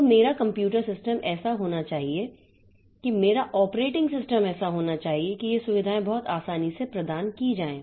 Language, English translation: Hindi, So, my computer system should be such that, my operating system should be such that this facilities are provided very easily